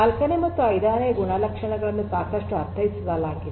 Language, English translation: Kannada, The third the fourth and the fifth properties are quite understood